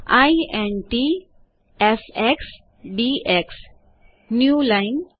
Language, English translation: Gujarati, int fx dx newline